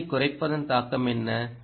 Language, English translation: Tamil, what is the impact of lowering the frequency